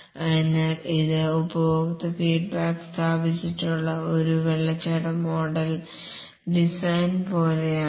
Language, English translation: Malayalam, So, this is like a waterfall model, design, build, install customer feedback